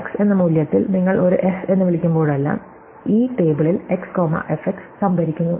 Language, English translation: Malayalam, Every time you call a f on a value x, you just store x comma f in this table